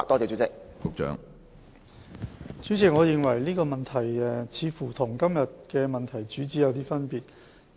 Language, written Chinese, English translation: Cantonese, 主席，我認為這問題似乎偏離了今天的主體質詢的主旨。, President I think this question seems to have deviated from the gist of the main question today